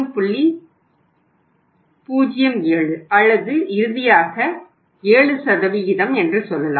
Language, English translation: Tamil, 07 or finally you can say 7%